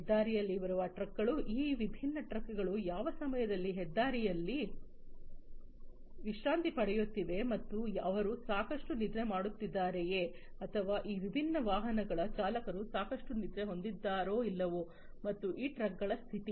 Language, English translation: Kannada, The trucks that are there on the highway at which position these different trucks are how much time they are resting on the highway and whether they are having adequate sleep or not their drivers of these different vehicles whether they are having adequate sleep or not and whether the condition of these trucks